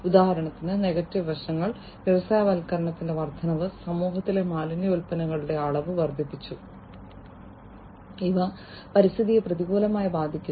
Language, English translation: Malayalam, Negative aspects for example, the increase in industrialization, increased the amount of waste products in the society, and these basically have lot of adverse effects on the environment